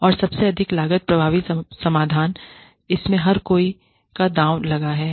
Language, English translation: Hindi, And, the most cost effective solution, everybody has stakes in it